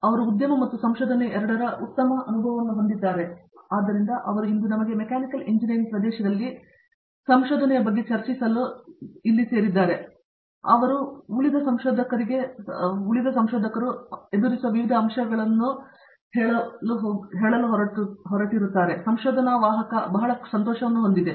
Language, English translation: Kannada, So, he has a very good experience with both industry and research and so we are very glad that he could join us today and to discuss research in the area of Mechanical Engineering and various aspects that researchers might encounter through their stay here, at in their research carrier